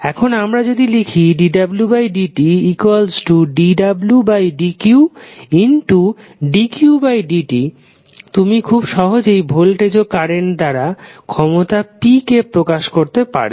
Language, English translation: Bengali, Now, if you express dw by dt as dw by dq and dq by dt you will simply get the expression of power p in the form of voltage and current